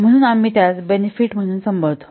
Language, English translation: Marathi, So that we call as the benefit